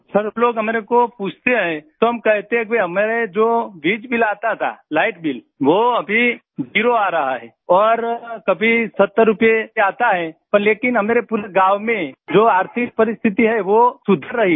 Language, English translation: Hindi, Sir, when people ask us, we say that whatever bill we used to get, that is now zero and sometimes it comes to 70 rupees, but the economic condition in our entire village is improving